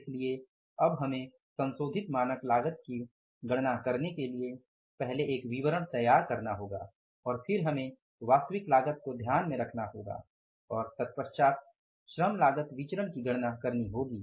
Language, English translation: Hindi, So now we will have to prepare a statement first to calculate the revised standard cost and then we will have to take into account the actual cost and then we will have to calculate the labor cost variance